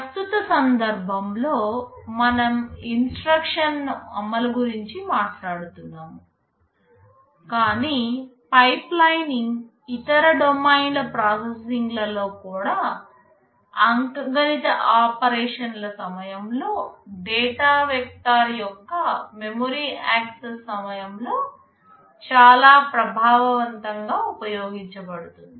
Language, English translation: Telugu, In the present context we are talking about instruction execution, but pipelining can be used very effectively in other domains of processing also, during arithmetic operations, during memory access of a vector of data, etc